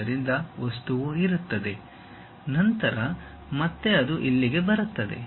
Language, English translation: Kannada, So, material is present, then again it comes all the way here